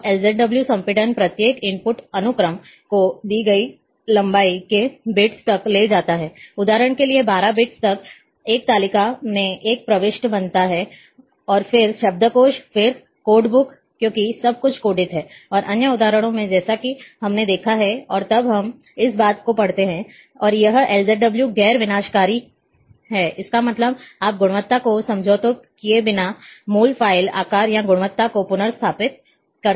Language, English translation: Hindi, Now LZW compression takes each input sequence, to a bits of given length, for example, 12 bits creates an entry in a table, and then dictionary, then code book, because everything is coded, and as in other examples we have seen, and then we read this thing, and this is the LZW is non destructive; that means, you can restore to the original file size, and quality, without compromising on the quality